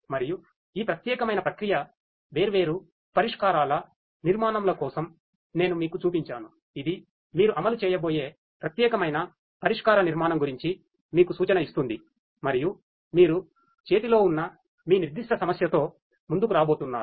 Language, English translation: Telugu, And for this particular processing different solution architectures I have shown you will which will give you a hint about the particular solution architecture that you are going to implement and are going to come up with for your specific problem that you have in hand